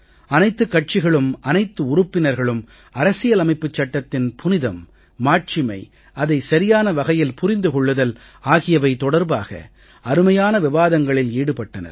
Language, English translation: Tamil, All the parties and all the members deliberated on the sanctity of the constitution, its importance to understand the true interpretation of the constitution